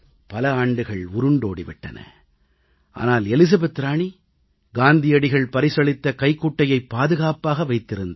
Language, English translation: Tamil, So many years have passed and yet, Queen Elizabeth has treasured the handkerchief gifted by Mahatma Gandhi